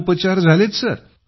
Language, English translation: Marathi, It has been a great treatment